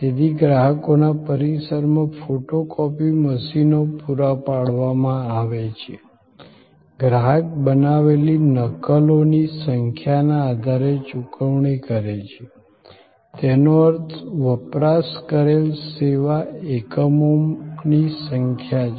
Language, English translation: Gujarati, So, photo copying machines are supplied at the customers premises, the customer pays on the basis of base of number of copies made; that means number of service units consumed